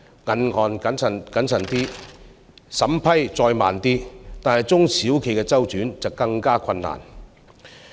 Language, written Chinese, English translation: Cantonese, 銀行謹慎點，審批再慢點，中小企的周轉則更為困難。, If the banks become more prudent and slower in approving loans SMEs will find it more difficult to deal with cashflow problems